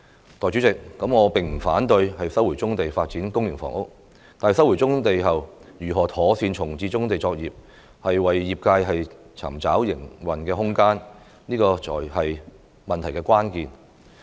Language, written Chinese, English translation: Cantonese, 代理主席，我並不反對收回棕地發展公營房屋，但收回棕地後，如何妥善重置棕地作業，為業界尋找營運空間，這才是問題的關鍵。, Deputy President I do not oppose the resumption of brownfield sites for public housing . However the crux of the question lies in how to relocate brownfield operations and seek operating space for them after the resumption of brownfield sites